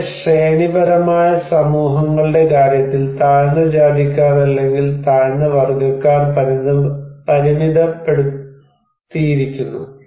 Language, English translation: Malayalam, In case of very hierarchical societies, the low caste people or low class people are restricted